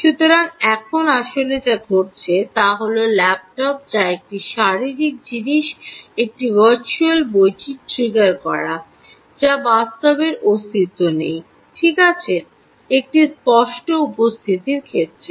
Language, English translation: Bengali, ok, so now what is actually happening is the laptop, which is a physical thing, is triggering a virtual book which actually doesn't exist right in in terms of a tangible presence